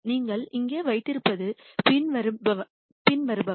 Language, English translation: Tamil, Then what you have here is the following